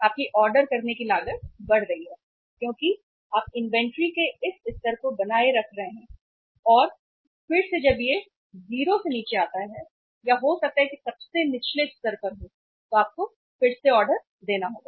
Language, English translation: Hindi, Your ordering cost is going up because you are keeping this much level of the inventory and again when it comes down to 0 or maybe to the lowest level, you have to again place the order